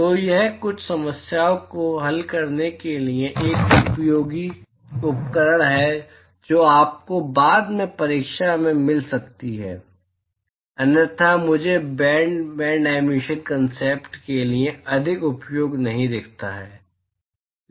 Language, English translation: Hindi, So, it is just a useful tool for solving some problems that you may get in your exam later, otherwise I do not see much use for the band emission concept